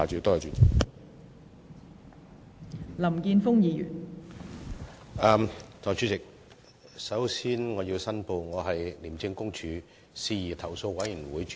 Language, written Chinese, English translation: Cantonese, 代理主席，首先我要申報，我是廉政公署事宜投訴委員會主席。, Deputy President I would first like to declare that I am the Chairman of the Independent Commission Against Corruption Complaints Committee